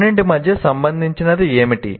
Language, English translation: Telugu, What is it that is common between the two